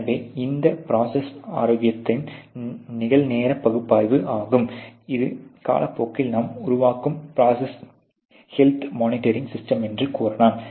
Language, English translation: Tamil, So, that is the real time analysis of the process health, you can say it is a process health monitoring system that you are building you know with time